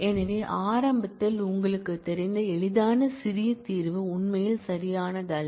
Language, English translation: Tamil, So, this initially you know easy trivial looking solution is not actually correct